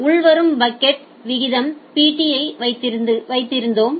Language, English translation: Tamil, So, we had Pt as the incoming packet rate